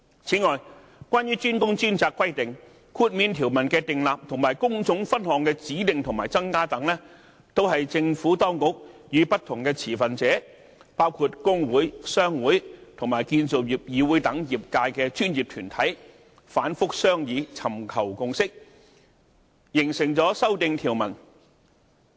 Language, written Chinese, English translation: Cantonese, 此外，關於"專工專責"規定，豁免條文的訂立和工種分項的指定和增加等，也是政府當局和不同持份者，包括工會、商會和建造業議會等業界專業團體反覆商議、尋求共識、形成修訂條文。, In addition the Exemption Regulation as well as the designation and addition of trade divisions under the DWDS requirement are the outcome of repeated discussions between the Administration and different stakeholders including professional bodies in the sector such as trade unions trade associations and CIC the consensus reached and the amendments thus formulated